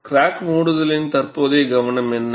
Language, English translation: Tamil, And what is the current focus of crack closure